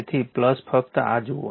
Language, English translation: Gujarati, So, plus just see this